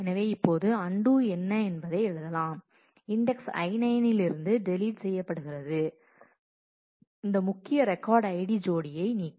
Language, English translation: Tamil, So, now you do write your what will be the undo, to delete that from index I 9, to delete this key record ID pair